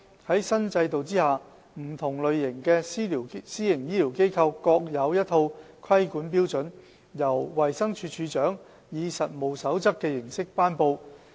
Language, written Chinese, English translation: Cantonese, 在新制度下，不同類型的私營醫療機構各有一套規管標準，由衞生署署長以實務守則的形式頒布。, Under the new regulatory regime different types of PHFs will each be subject to a set of regulatory standards which will be promulgated in the form of codes of practice by DoH